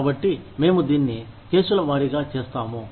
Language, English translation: Telugu, So, we do it, on a case by case basis